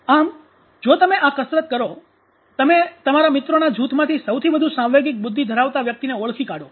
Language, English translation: Gujarati, So if you take up this exercise you know identify most emotional intelligence person in your friends group